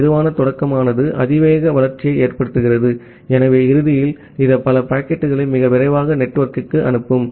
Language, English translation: Tamil, So the slow start it causes the exponential growth, so eventually it will send too many of packets into the network too quickly